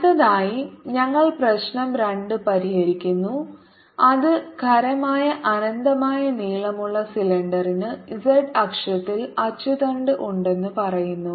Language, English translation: Malayalam, next we solve problem two, which says a solid, infinitely long cylinder has axis along the z axis